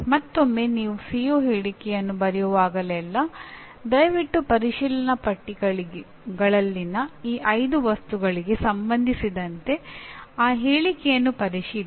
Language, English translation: Kannada, Again, we reemphasize that whenever you write a CO statement please check that statement with respect to these 5 items in the checklist